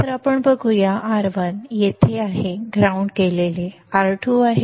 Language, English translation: Marathi, So, let us see, R1 is here which is grounded, R2 is here